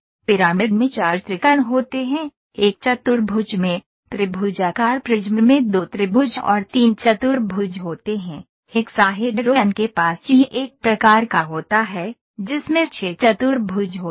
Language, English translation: Hindi, Pyramid has 4 triangles, in one quadrilateral, triangular prism has 2 triangles and 3 quadrilaterals, hexahedron has it is kind of a cuboid it has 6 quadrilaterals